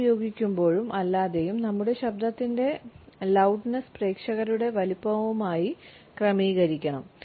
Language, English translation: Malayalam, The loudness of our voice with or without a mike should be adjusted to the size of our audience